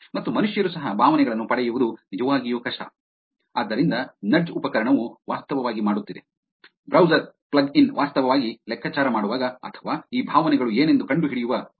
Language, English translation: Kannada, And even human beings, it is actually hard to get the sentiments, so, the nudge was, the tool was actually making, browser plug in was actually making errors while the calculating or finding out what these sentiments are